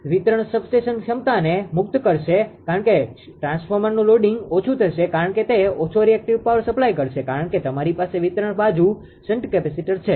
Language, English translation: Gujarati, So, that is why it will release the distribution substation capacity because transformer loading will be less because it will supply less reactive power because you have shunt capacitors on the distribution side